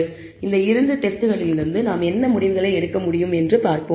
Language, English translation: Tamil, So, let us see what conclusions can we draw from these two tests